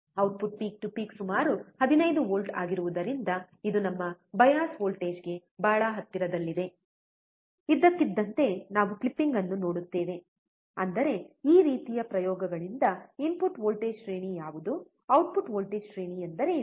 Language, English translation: Kannada, Because the output peak to peak is around 15 volts, it is very close to our bias voltage, suddenly, we will see the clipping; that means, that from this kind of experiments, we can easily find what is the input voltage range, what is the output voltage range